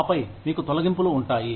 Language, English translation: Telugu, And then, you would have layoffs